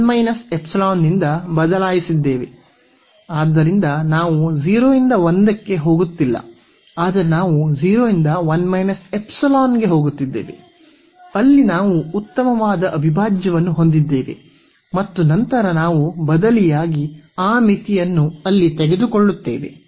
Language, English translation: Kannada, So, we are not going from 0 to 1, but we are going from 0 to 1 minus epsilon where we have the nice integral and later on we will substitute we will take that limit there